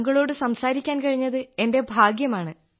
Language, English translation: Malayalam, Am fortunate to have spoken to you